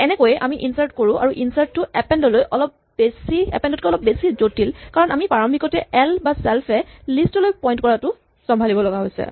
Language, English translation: Assamese, This is how we insert and insert as we saw is a little bit more complicated than append because of having to handle the initial way in which l points to the list or self points to the list